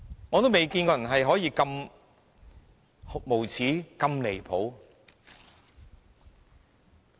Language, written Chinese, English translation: Cantonese, 我從未見過有人可以這麼無耻和離譜。, I have never seen such a shameless and outrageous person